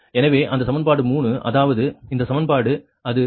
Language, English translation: Tamil, so these are the, this is the equation three, this is for v two equation